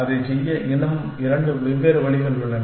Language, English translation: Tamil, And there are two more different ways of doing it